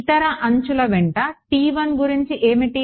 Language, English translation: Telugu, What about T 1 along the other edges